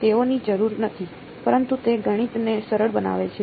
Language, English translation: Gujarati, They need not be, but it makes math easier